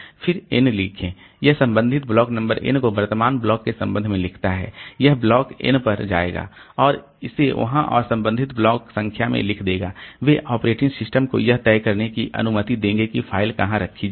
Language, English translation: Hindi, Then write n it writes relative block number n with respect to the current block it will go to block n and write it there and relative block numbers they will allow operating system to decide where the file should be placed